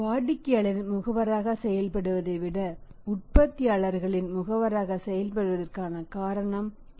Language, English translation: Tamil, Then he will have the reason to act as a agent of the manufacturers rather than acting as agent of the customer